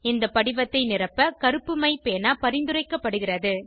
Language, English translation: Tamil, It is preferable to use a pen with black ink to fill the form